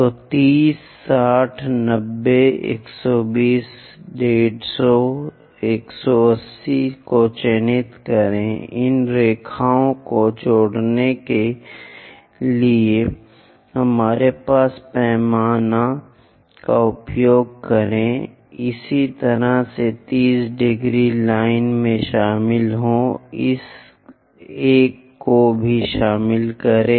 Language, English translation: Hindi, So, mark 30 60 90 120 150 180, use our scale to construct join these lines similarly join this 30 degrees line, join this one also